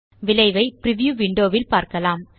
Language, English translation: Tamil, You can see the result in the preview window